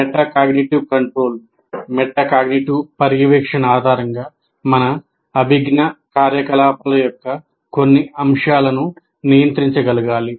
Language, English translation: Telugu, A metacognitive monitoring is defined as assessing the current state of cognitive activity